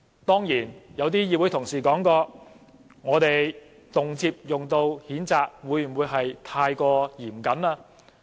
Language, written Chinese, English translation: Cantonese, 當然，有些議員表示，我們動輒提出譴責，會否過於嚴苛呢？, Of course some Members may wonder if it would be too harsh for us to move a censure motion so readily